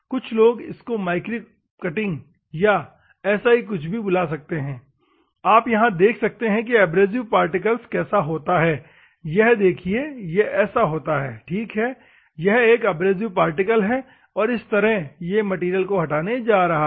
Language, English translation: Hindi, Some people they may call it as a micro cutting or something you can see here, how an abrasive particle, this is an abrasive particle ok, this is an abrasive particle how it is going to remove the material, ok